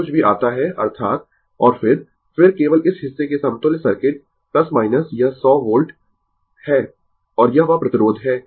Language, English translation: Hindi, Whatever it come, that is your and then, then then the equivalent circuit of only this part plus minus this is 100 volt and this is that your resistance, right